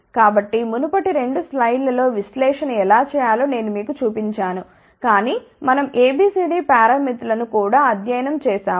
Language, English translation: Telugu, So, in the previous 2 slides I had shown you how to do the analysis, but recall we have also studied A B C D parameters